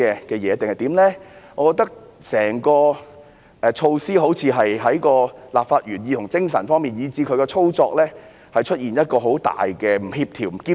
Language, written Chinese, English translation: Cantonese, 我認為整項措施好像在立法原意、精神以至操作方面，都極為不協調和不兼容。, I find the measure extremely inconsistent and incompatible with the legislative intent spirit and implementation